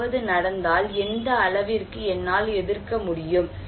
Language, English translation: Tamil, If something happened, I can resist what extent